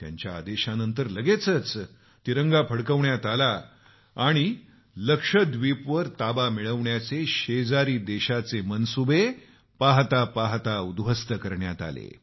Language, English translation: Marathi, Following his orders, the Tricolour was promptly unfurled there and the nefarious dreams of the neighbour of annexing Lakshadweep were decimated within no time